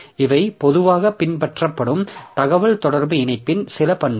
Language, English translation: Tamil, So, these are some of the properties of communication link that is generally followed